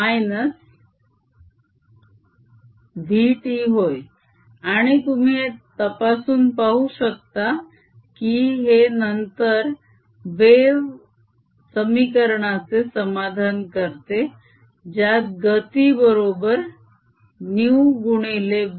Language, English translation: Marathi, and i can check that this and satisfy the wave equation with velocity being equal to new times lambda